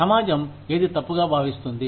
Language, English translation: Telugu, What does the society consider as wrong